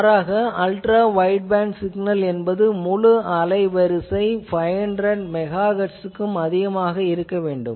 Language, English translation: Tamil, And alternatively also a Ultra wideband signal should have at least the absolute bandwidth should be greater than 500 Megahertz